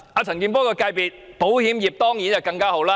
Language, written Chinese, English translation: Cantonese, 陳健波的保險業界當然更受惠。, Mr CHAN Kin - pors insurance industry will definitely enjoy more benefits